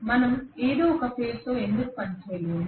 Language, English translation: Telugu, Why cannot we just work with single phase